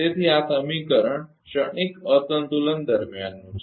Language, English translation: Gujarati, So, this is the equation during transient imbalance